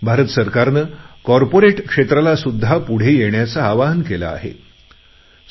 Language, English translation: Marathi, Government of India has also appealed to the corporate world to come forward in this endeavour